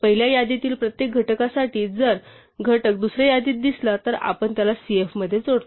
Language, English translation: Marathi, Now, for every factor in the first list if the factor appears in the second list then we append it to cf